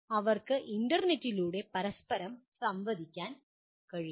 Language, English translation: Malayalam, They can interact with each other over the internet